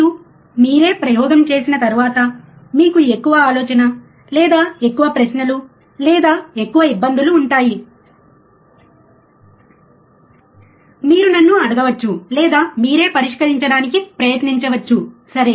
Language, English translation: Telugu, Once you perform the experiment by yourself, you will have more idea, or more questions, or more difficulties that you can ask to me, or try to solve by yourself, right